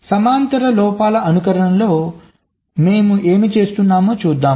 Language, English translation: Telugu, lets try to see in the parallel faults simulation what we were doing